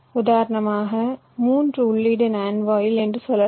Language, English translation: Tamil, lets say, for example, a three input nand gate